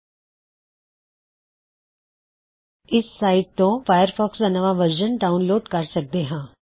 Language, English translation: Punjabi, Here, we can always find the latest version of Firefox